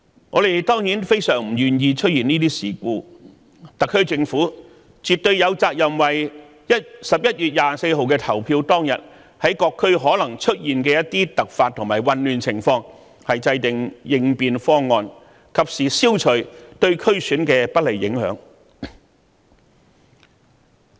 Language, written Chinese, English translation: Cantonese, 我們當然非常不願見出現這些事故，特區政府絕對有責任為11月24日投票當日，各區可能出現的一些突發和混亂情況制訂應變方案，及時消除對選舉的不利影響。, It is of course utterly not our wish to see such occurrences and it is absolutely the responsibility of the SAR Government to formulate a contingency plan for some possible unexpected and chaotic situations in various districts on the polling day of 24 November as well as timely eliminate any adverse impact on the election